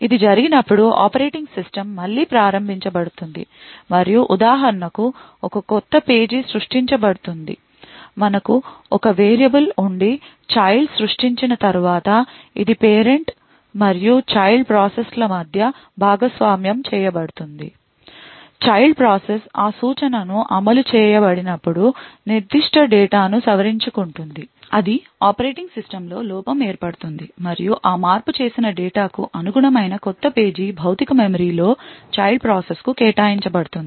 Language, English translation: Telugu, When this happens, then the operating system gets invoked again and a new page gets created for example, let us say we have one variable which is shared between the parent and the child process and let us say after the child gets created, the child process modifies that particular data when that instruction gets executed it would result in a fault in operating system and a new page corresponding to that modified data gets allocated to the child process in the physical memory